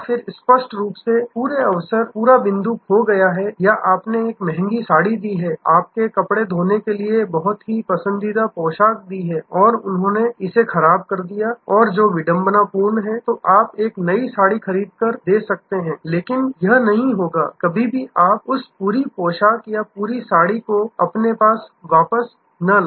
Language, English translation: Hindi, Then, obviously, the whole occasion, the whole point is lost or you have given a costly saree, a very favorite dress to your laundry and they have spoiled it and which is irretrievable, then you might buy a new saree, but that will not, never bring you that whole dress or whole saree back to you